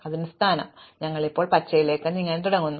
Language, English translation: Malayalam, So, that is this position and we start now moving the green